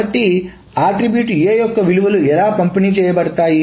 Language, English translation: Telugu, So how are the values for that attribute A are distributed